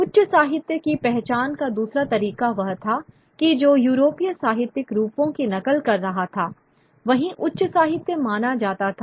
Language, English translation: Hindi, The other way of identifying high literature was that which was imitating European literary forms